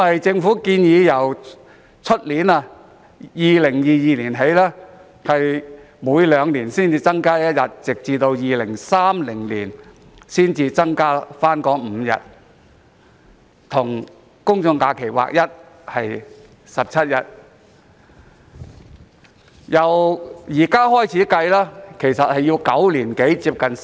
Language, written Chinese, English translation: Cantonese, 政府建議，自2022年起，每兩年新增1日，直到2030年才增加5日，即增至17日，與公眾假期日數看齊。, The Government proposed to increase an additional day in every two years from 2022 so there will be five additional days amounting to a total of 17 days in 2030 which will be on a par with the number of general holidays